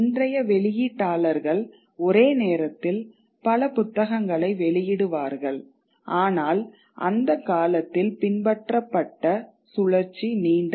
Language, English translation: Tamil, Though today's publishers would be publishing several books simultaneously, but that cycle is a long one